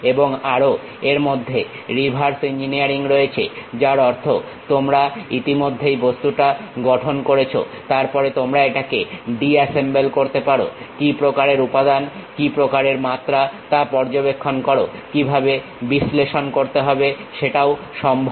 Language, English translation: Bengali, And also it includes reverse engineering; that means, you already have constructed the object, then you can disassemble it, observe what kind of material, what kind of dimensions, how to really analyze that also possible